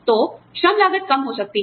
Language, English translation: Hindi, So, the labor costs may go down